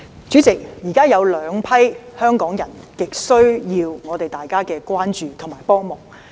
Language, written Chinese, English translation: Cantonese, 主席，現時有兩批香港人極需要大家的關注和幫忙。, President two groups of Hong Kong people are currently in dire need of our attention and assistance